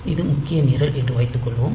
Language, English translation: Tamil, So, suppose this is the main program